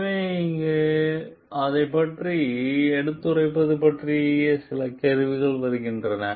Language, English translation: Tamil, So, here comes the question of whistle blowing